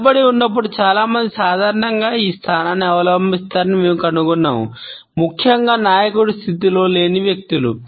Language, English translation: Telugu, We find that a lot of people normally adopt this position while they are is standing, particularly those people who are not in a position of a leader